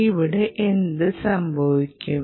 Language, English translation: Malayalam, ok, what will happen